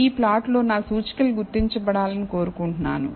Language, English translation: Telugu, So, on this plot I want my indices to be identified